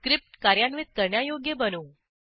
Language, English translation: Marathi, Now lets make our script executable